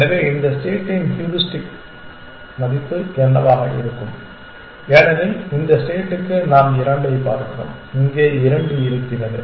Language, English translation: Tamil, So, what would be the heuristic value of this state for this state we look at two is here and two is there